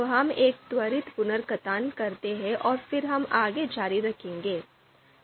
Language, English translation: Hindi, So let’s do a quick recap of that and then we will continue from there